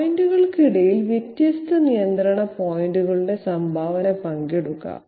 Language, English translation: Malayalam, In between the points, share the contribution of the different control points